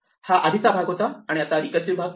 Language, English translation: Marathi, This part is the earlier part and now this is recursive part